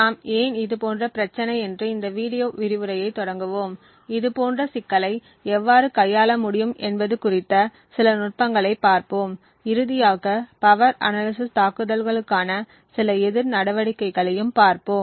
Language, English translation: Tamil, So, we will start of this video lecture with why this is such a problem and we would see a few techniques about how such a problem can be handled and finally we will look at some counter measures for power analysis attacks